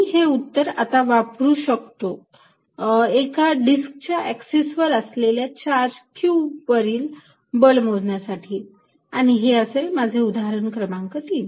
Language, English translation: Marathi, I can now use this result to calculate force on charge q on the axis of a disc and that is going to give my example number 3